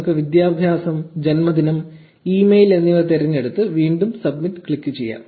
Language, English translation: Malayalam, So, let us select education, birthday, and say email and click submit again